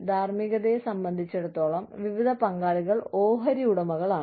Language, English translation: Malayalam, As far as, ethics are concerned, various stakeholders are shareholders